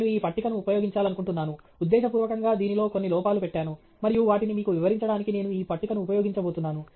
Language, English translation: Telugu, I want to use this table; deliberately it has some errors, and I am going to use this table to highlight that for you okay